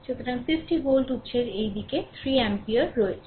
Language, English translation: Bengali, So, an 50 volt source is there this side 3 ampere